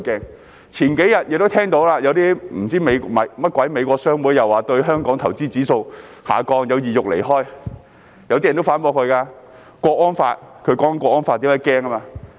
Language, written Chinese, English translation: Cantonese, 數天前，大家也聽到，那些甚麼美國商會又說對香港投資的指數下降，有意欲離開，有些人也反駁，因為通過了《香港國安法》，所以他們害怕。, If they do not have these problems they do not have to be scared . A couple of days ago as Members have heard some so - called American chambers of commerce said that the index on investment in Hong Kong dropped and people were thinking about leaving Hong Kong and some people have argued that they were afraid because of the passage of the National Security Law